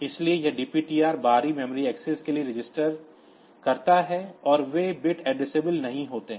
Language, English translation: Hindi, So, this makes that DPTR register for external memory axis and they are not bit addressable